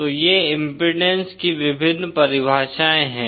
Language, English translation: Hindi, So these are the various definitions of impedance